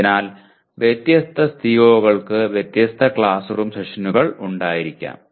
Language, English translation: Malayalam, So different COs may have different number of classroom sessions